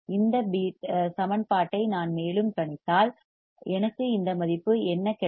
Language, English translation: Tamil, If I further work on this equation, what will I get I will get this value